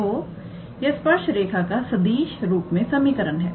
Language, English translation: Hindi, So, that is the vector form equation for the tangent line